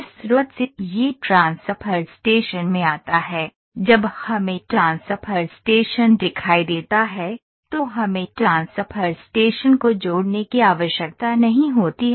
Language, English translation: Hindi, So, this from source it comes in transfer station is there, we need to connect transfer station transfer station when we see a transfer station